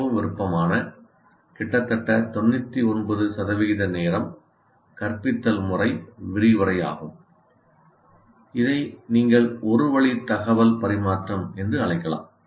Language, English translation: Tamil, And the most preferred or the most 99% of the time the instruction method is really lecturing, which you can also call one way transfer of information